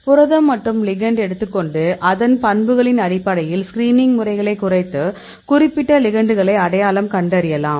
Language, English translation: Tamil, You take the protein site; take the ligand, get the properties and reduce the number do the screening and then we identified the proper ligands